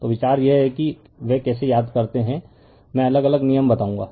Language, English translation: Hindi, So, idea is the you know they how you remember I will tell you one different [Laughter] rule